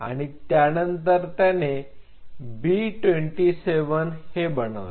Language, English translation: Marathi, And he further took it make it B27